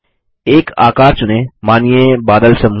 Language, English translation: Hindi, Select a shape say a cloud group